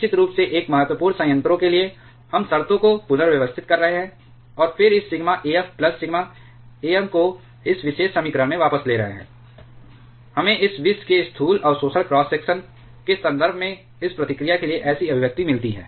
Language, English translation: Hindi, For a critical reactor of course so, we are rearranging the terms, and then taking this sigma af plus sigma am into back into this particular equation we get such an expression for this reactivity in terms of the macroscopic absorption cross section of this poison